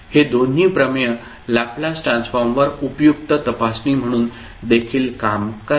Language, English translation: Marathi, And these two theorem also serve as a useful check on Laplace transform